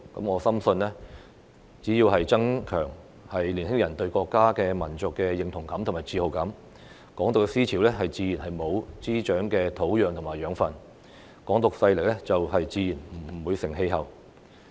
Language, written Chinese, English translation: Cantonese, 我深信只要增強年輕人對國家和民族的認同感和自豪感，"港獨"的思潮自然沒有滋長的土壤和養分，"港獨"勢力自然不成氣候。, I am convinced that there will be no soil for Hong Kong independence to grow if young people develop a stronger sense of national identity and pride